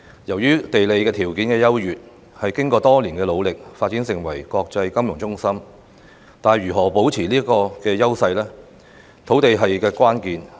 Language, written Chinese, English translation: Cantonese, 由於地理條件優越，經過多年努力下發展成為國際金融中心，但如何可以保持這個優勢，土地便是關鍵。, By virtue of its advantageous geographical location Hong Kong has become an international financial hub after many years of hard work . But land is essential to its ability to maintain its edge